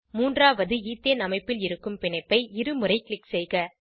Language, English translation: Tamil, Click on the existing bond of the third Ethane structure twice